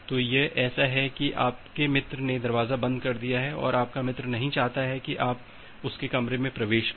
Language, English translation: Hindi, So, it is just like that your friend has closed the door and your friend has not do not want you to enter his room